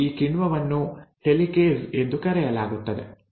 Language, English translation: Kannada, And this enzyme is called as Helicase